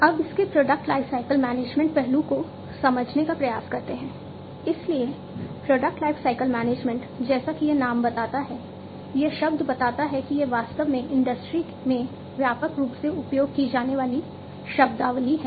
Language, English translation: Hindi, So, product lifecycle management as this name suggests, this term suggests it is actually a widely used terminologies in the industry